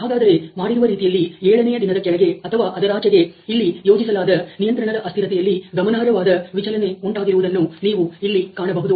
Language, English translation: Kannada, So, you can see that below the or beyond the 7th day there has been a significant deviation in the way that the control variable is being plotted here